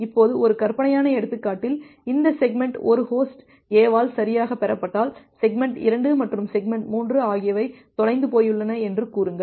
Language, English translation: Tamil, Now in a hypothetical example, if it happens that well this segment 1 is received correctly by host A and say segment 2 and segment 3 are dropped a lost